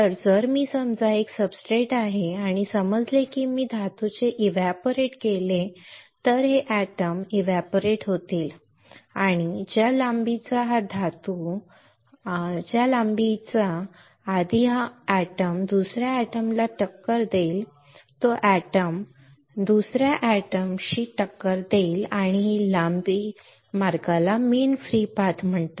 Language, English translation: Marathi, So, then if I deposit suppose this is a substrate if I evaporate the metal right then this atoms will get evaporated and the length before which this atom will collide with some another atom this atom x will collide with some another atom y right this length this path is called mean free path